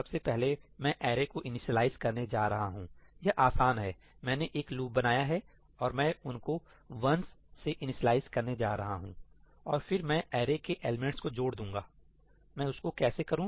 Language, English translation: Hindi, First I am going to initialize the array this is simple, I just create a loop and I am going to initialize them with 1’s, and then I simply add up the elements of the array